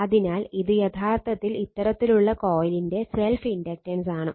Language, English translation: Malayalam, So, this is actually self inductance for this kind of coil